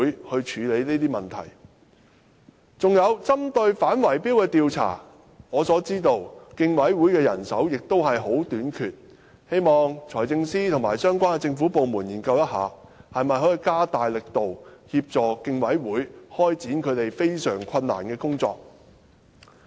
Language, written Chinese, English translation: Cantonese, 還有，我知道競委會亦非常欠缺反圍標行為的調查人手，希望財政司司長和相關的政府部門研究一下，看看能否加大力度協助競委會開展這項非常困難的工作。, Moreover I know that CCHK is also seriously short of manpower in anti - tender rigging investigations . I hope that the Financial Secretary and the government departments concerned can study whether they can step up assistance to CCHK for doing this very difficult task